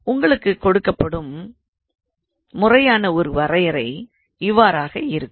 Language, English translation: Tamil, Now to give you formal definition it goes like this